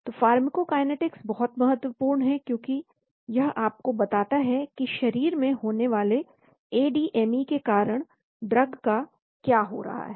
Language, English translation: Hindi, So pharmacokinetics is very important because it tells you what is happening to the drug because of the ADME that is happening in the body